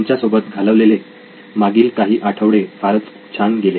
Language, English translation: Marathi, It’s been a fantastic last few weeks with you